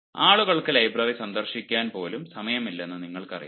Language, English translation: Malayalam, nowadays, people, even you know they do not have the time to visit librarys